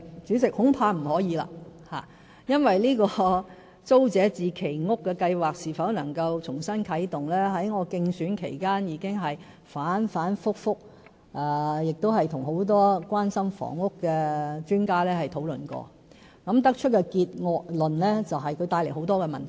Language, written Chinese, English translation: Cantonese, 主席，恐怕不可以，因為就租者置其屋計劃是否能夠重新啟動的問題，我在競選期間已經反反覆覆，亦跟很多關心房屋的專家討論過，得出的結論就是，這會帶來很多問題。, President I am afraid that the answer is in the negative . During the election period I held many discussions with housing experts on the feasibility of relaunching the Tenants Purchase Scheme TPS and our conclusion is that this will bring about a lot of problems